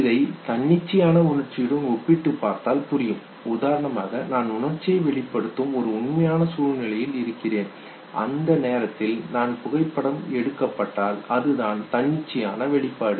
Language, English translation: Tamil, Comparing this with a spontaneous emotion, spontaneous would be that I am in a real life situation where I express the emotion and I am clicked at that point in time that is the spontaneous expression